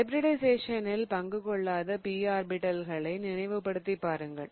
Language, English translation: Tamil, Remember there were those p orbitals that did not take part in hybridization